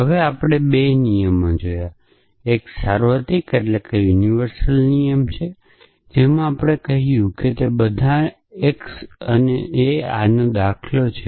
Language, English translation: Gujarati, Now, we saw 2 rules of infants; 1 was a universal in sensation we said that a from for all x and this is an instance of that